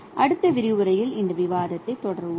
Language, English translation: Tamil, We will continue this discussion in the next lecture